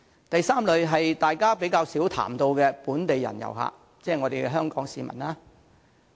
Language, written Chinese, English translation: Cantonese, 第三類是大家較少談及的本地人遊客，即香港市民。, The third category which is less talked about consists of our local tourists that is Hong Kong people